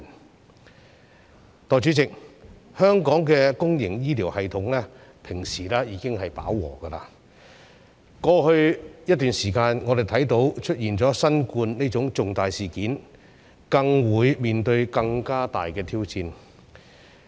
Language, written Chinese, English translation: Cantonese, 代理主席，香港的公營醫療系統平時已達飽和，過去一段時間，我們看到出現新冠這種重大事件，更是面對更大的挑戰。, Deputy President the public healthcare system in Hong Kong has already reached its capacity in normal times . Over the past period we have seen that the COVID - 19 epidemic which is a major incident has posed an even greater challenge to the system . The problem of ageing population also affects many areas